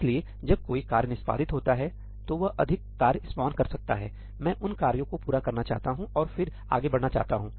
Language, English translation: Hindi, So, when a task executes, it may spawn more tasks; I want those tasks to complete and then I want to proceed further